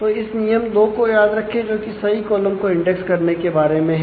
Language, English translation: Hindi, So, this remember the rule 2 index the correct columns